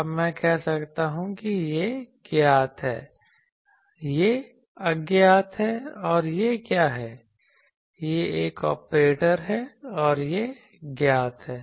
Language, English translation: Hindi, Now I can say this is known, this is unknown and what is this, this is an operator and this is known